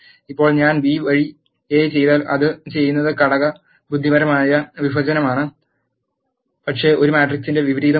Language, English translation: Malayalam, Now, if I do A by B what it does is element wise division, but not the inverse of a matrix